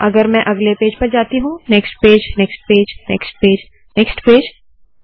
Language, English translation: Hindi, If I go to the next page, next page, next page, next page, next page and so on